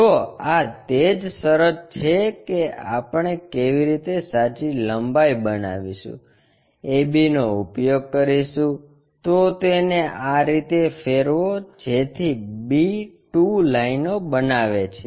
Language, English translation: Gujarati, If, that is the case how we are going to construct a true length is use a b, rotate it such that construct b 2 line